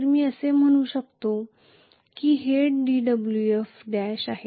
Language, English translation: Marathi, So I can say basically this is dWf dash